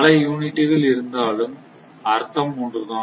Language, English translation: Tamil, But that is, so many units are there, but meaning is same